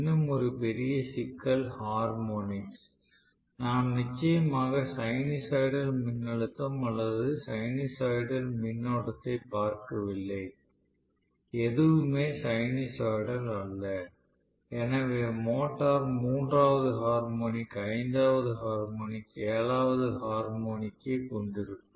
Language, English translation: Tamil, This is definitely not a good option and one more major problem is harmonics, we definitely not looking at sinusoidal voltage or sinusoidal current, everything is non sinusoidal, so the motor can have third harmonic, fifth harmonic, seventh harmonic and so on and so fourth and which can really interfere with the proper working of the motor